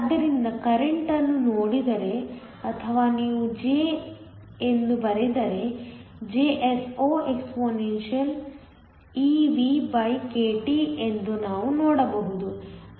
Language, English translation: Kannada, So, we can see that the current or if you write this down J is Jso expeVkT